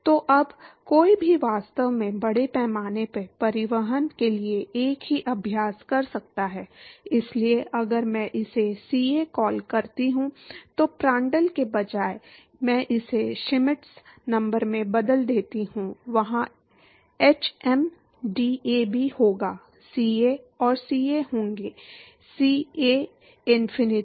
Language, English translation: Hindi, So, now, one can actually do the same exercise for mass transport, so if I call this CA, instead of Prandtl, I replace it by Schmidt number, there will be hm, DAB, there will be CA and CAs, CAinfinity